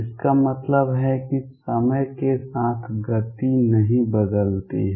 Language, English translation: Hindi, It means that momentum does not change with time